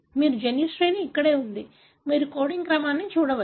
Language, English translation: Telugu, This is where your gene sequence is; you can see the coding sequence